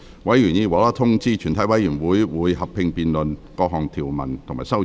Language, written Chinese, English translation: Cantonese, 委員已獲通知，全體委員會會合併辯論各項條文及修正案。, Members have been informed that the committee will conduct a joint debate on the clauses and the amendment